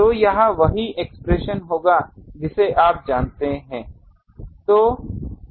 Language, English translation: Hindi, So, that will be this expression you know